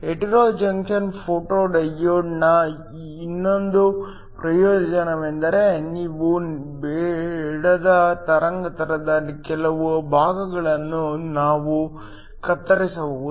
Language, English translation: Kannada, Another advantage of the hetero junction photo diode is that we can cut off certain portions of the wavelength that you would not want